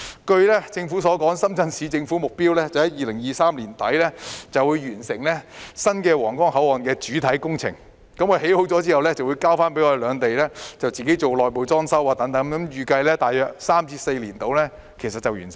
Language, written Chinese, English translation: Cantonese, 據政府所說，深圳市政府目標在2023年年底完成新皇崗口岸的主體工程，完工後便會交由兩地自行進行內部裝修，預計大約3至4年便會完成。, According to the Government the target of the Shenzhen Municipal Government is to complete the main works of the new Huanggang Port by the end of 2023 then the two governments will start internal decoration work respectively . The entire project is expected to take three to four years